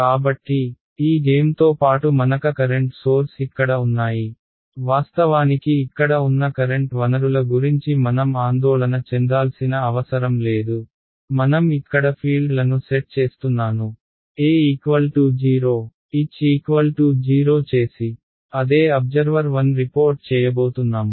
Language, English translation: Telugu, So, let us play along with this game the current sources are here actually we need not worry about the current sources over here, I am setting the fields over here E comma H equal to 00 that is that is what observer 1 is going to report